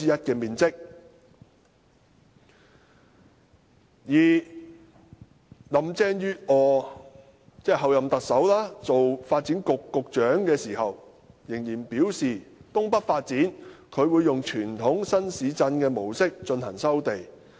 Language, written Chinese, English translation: Cantonese, 候任特首林鄭月娥任發展局局長時仍然表示，就東北的發展，她會以傳統新市鎮的模式進行收地。, When Chief Executive - elect Mrs Carrie LAM was in the position of Secretary for Development she still said that the Conventional New Town Approach would be adopted to resume land for the development of North East New Territories